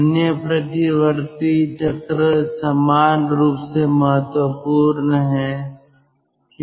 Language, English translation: Hindi, other reversible cycles are equally important